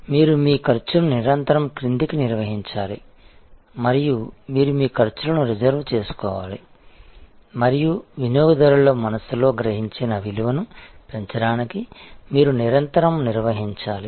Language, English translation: Telugu, So, you have to manage your cost constantly downwards and you have to reserve your costs and you have to constantly manage for enhancing the perceived value in the mind of the customer